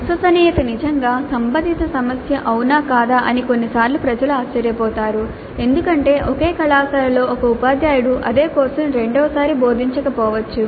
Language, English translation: Telugu, Now sometimes people do wonder whether reliability is really a relevant issue because a teacher may not teach the same course second time in the same college